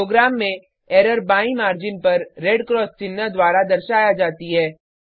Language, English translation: Hindi, In a program, Error is denoted by a red cross symbol on the left margin